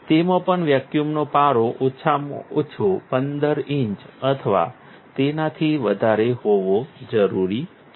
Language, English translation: Gujarati, It also requires vacuum to be at least 15 inches of mercury or more